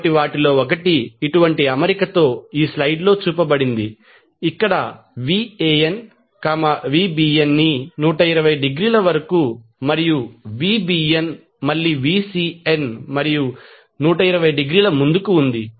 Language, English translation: Telugu, So in 1 such arrangement is shown in this slide, where Van is leading Vbn by 120 degree and Vbn is again leading Vcn and by 120 degree